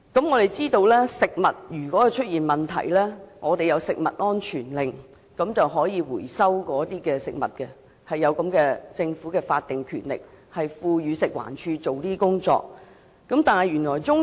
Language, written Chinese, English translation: Cantonese, 我們知道，如果食物出現問題，我們可透過食物安全命令回收食物，政府有法定權力賦予食物環境衞生署這樣做。, As we know if there are problems with food we can recall the food in question through food safety orders . The Government can empower the Food and Environmental Hygiene Department to do so in law